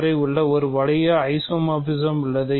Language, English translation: Tamil, It is also an isomorphism